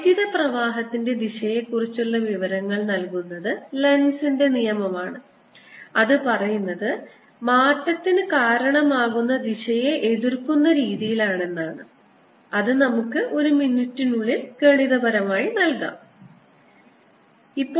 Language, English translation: Malayalam, and that is given by lenz's law, which says that the direction is such that it opposes because of change, and we'll put that mathematically in a minute